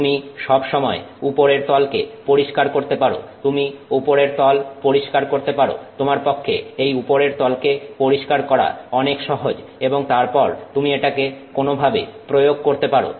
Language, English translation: Bengali, You can clean the top surface, it's much much much easier for you to clean the top surface and then you put it to some application